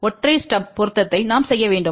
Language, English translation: Tamil, We need to do the single stub matching